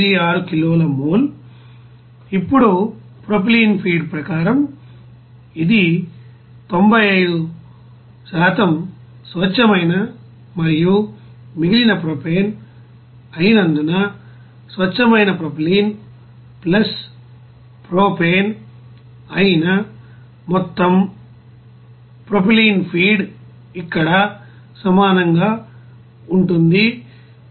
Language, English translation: Telugu, 86 kilo mole, now as per propylene feed since it is 95% pure and rest of propane, you can see that total propylene feed that is pure propylene + propane that will be is equal to to here 186